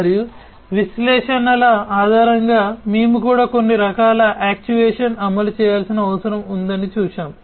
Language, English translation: Telugu, And based on the analytics we have also seen that some kind of actuation may be required to be implemented, right